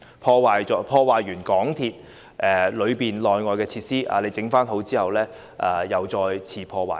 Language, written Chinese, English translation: Cantonese, 當有人破壞港鐵車站內外的設施後，待維修完畢，他們便會再次破壞。, After vandalizing the facilities inside and outside MTR stations some people would vandalize the facilities again upon completion of repair works